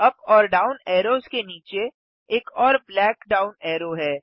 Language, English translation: Hindi, Below the up and down arrows is another black down arrow